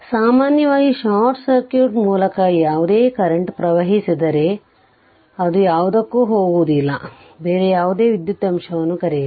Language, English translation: Kannada, So, if generally any source any current flow through the short circuit, it will not go to any your what you call any other electrical element